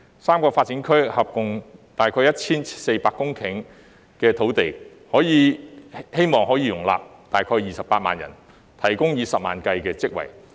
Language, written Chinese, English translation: Cantonese, 三個發展區合共約 1,400 公頃，可望容納約28萬人，提供以十萬計的職位。, The three development areas covering about 1 400 hectares of land are expected to accommodate a population of about 280 000 and provide hundreds of thousands of job opportunities